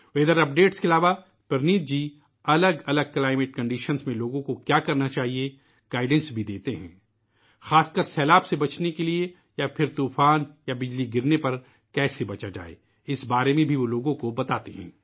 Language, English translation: Urdu, Besides weather updates, Praneeth ji also gives guidance to people about what they should do in different climatic conditions… Especially how to be safe from floods or how to avoid storm or lightning, he talks about this too